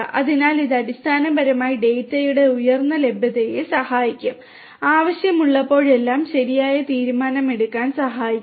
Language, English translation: Malayalam, So, this is basically will have to will also help the higher availability of the data will also help in enable proper decision making whenever it is required